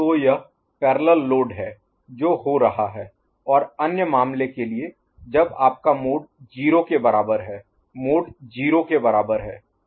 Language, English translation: Hindi, So, it is parallel load that is happening and for the other case when your mode is equal to 0, mode is equal to 0 ok